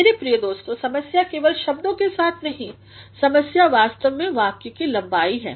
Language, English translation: Hindi, My dear friends, the problem is not only with the words the problem is actually the length of the sentence